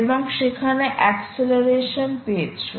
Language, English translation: Bengali, it has found out the acceleration